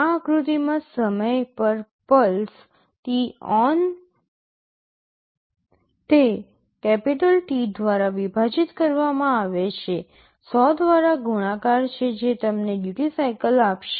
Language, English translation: Gujarati, In this diagram the pulse on time is t on divided by capital T multiplied by 100 that will give you the duty cycle